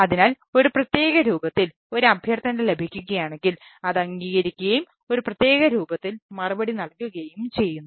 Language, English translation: Malayalam, so it what it says: that if it gets a request in a particular form, it will acknowledge it and then replied it one particular form